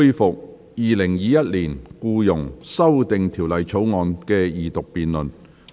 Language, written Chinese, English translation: Cantonese, 本會恢復《2021年僱傭條例草案》的二讀辯論。, This Council resumes the Second Reading debate on the Employment Amendment Bill 2021